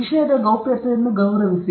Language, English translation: Kannada, Respect the subjectÕs privacy